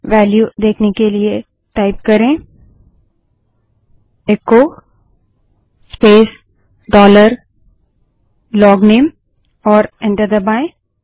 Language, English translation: Hindi, In order to see the value type echo space dollar LOGNAME and press enter